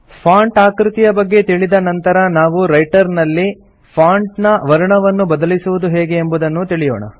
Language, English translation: Kannada, After learning about the font size, we will see how to change the font color in Writer